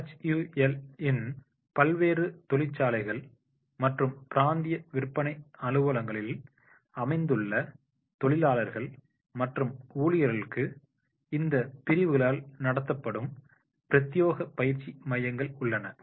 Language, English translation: Tamil, For workmen and staff located at various factories and regional sales offices of HUL, there are dedicated training centers run by these units themselves